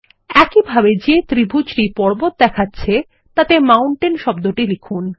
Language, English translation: Bengali, Similarly, lets type the word Mountain in the triangle that depicts the mountain